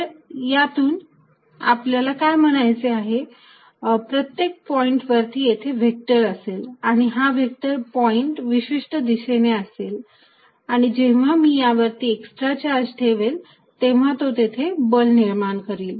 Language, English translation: Marathi, By field, we mean at every point, at every point, there is a vector, at every point, there is a vector point in a certain direction and when I put an extra charge on this, it creates a force